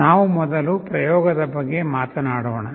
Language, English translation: Kannada, Let us talk about the experiment first